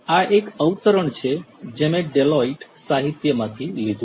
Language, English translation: Gujarati, This is a quote that I have taken from a Deloitte literature